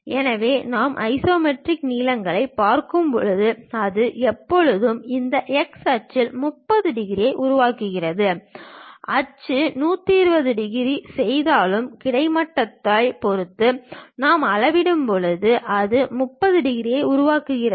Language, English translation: Tamil, So, when we are looking at isometric lengths, it always makes on this x axis 30 degrees; though axis makes 120 degrees, but when we are measuring with respect to the horizontal, it makes 30 degrees